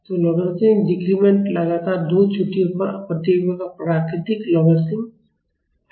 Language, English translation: Hindi, So, logarithmic decrement is the logarithm natural logarithm of the responses at two consecutive peaks